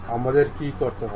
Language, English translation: Bengali, What we have to do